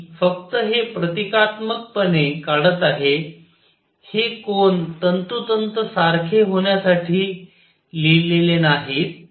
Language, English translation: Marathi, I am just drawing these symbolically these angles are not written to be to be precise